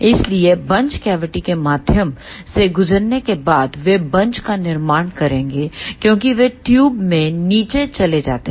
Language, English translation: Hindi, So, after passing through the buncher cavity they will form bunches as they drift down into the tube